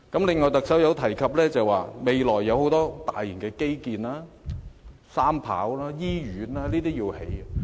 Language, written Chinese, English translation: Cantonese, 此外，特首提及未來有很多大型基建，要興建機場第三條跑道、醫院等。, The Chief Executive also says that there will be large - scale infrastructural projects such as the construction of the Three - Runway System and hospitals and so on